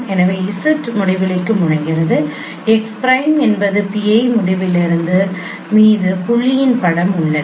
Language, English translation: Tamil, So as j tends to infinity, x prime is the image of point on pi infinity